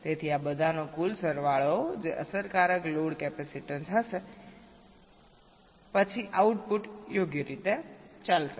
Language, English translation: Gujarati, so sum total of all of these that will be the effective load capacitance